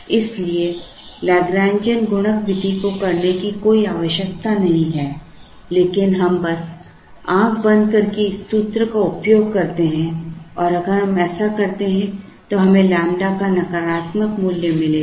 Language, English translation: Hindi, Therefore, there is no need to do the Lagrangian multiplier method but we simply blindly have used this formula and we will get a negative value of lambda if we do that